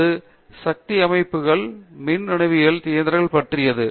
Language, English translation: Tamil, So, that is to do with power systems, power electronics machines